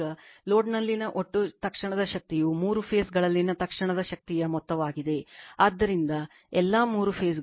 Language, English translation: Kannada, Now, the total instantaneous power in the load is the sum of the instantaneous power in the three phases right, so all the three phases right